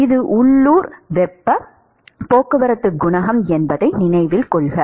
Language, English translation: Tamil, Note that this is local heat transport coefficient